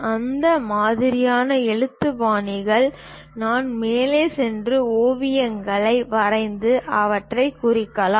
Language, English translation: Tamil, So, with that kind of lettering style, we can go ahead and draw sketches and represent them